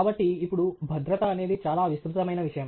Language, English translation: Telugu, So, now, safety is something that is a very board subject